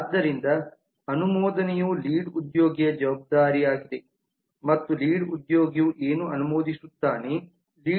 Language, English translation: Kannada, so approve is a responsibility of lead and what does the lead approve